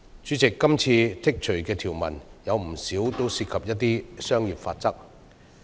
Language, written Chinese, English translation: Cantonese, 主席，今次剔除的條文，有不少涉及商業法則。, President many removed items are related to commercial laws and regulations